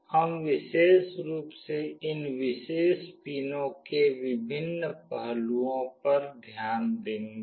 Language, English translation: Hindi, We will be specifically looking into the various aspects of these particular pins